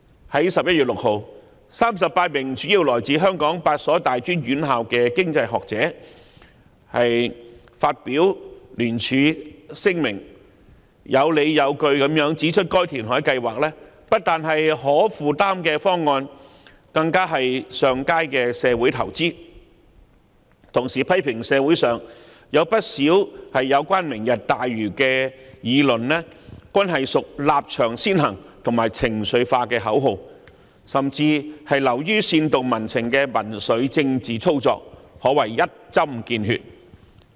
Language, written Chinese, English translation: Cantonese, 在11月6日 ，38 名主要來自香港8所大專院校的經濟學者發表聯署聲明，有理有據地指出該填海計劃不單是可負擔的方案，更是上佳的社會投資，並同時批評社會上有不少有關"明日大嶼"的議論均屬立場先行及情緒化的口號，甚至流於煽動民情的民粹政治操作，可謂一針見血。, On 6 November 38 economics scholars mainly from the eight tertiary institutions in Hong Kong issued a joint statement pointing out with justifications that the reclamation project was not only an affordable proposal but it was also a desirable social investment . At the same time they also criticized many assertions about the Lantau Tomorrow plan in the community saying that they were marked by a position first attitude and emotional outbursts while dismissing them as a mere populist political manoeuvre with the aim of inciting public sentiments . It can be said that they have hit the nail on the head